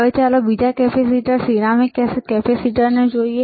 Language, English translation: Gujarati, Now, let us see another capacitor, ceramic capacitor